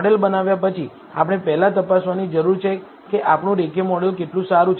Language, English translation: Gujarati, After having built a model, we first need to check how good is our linear model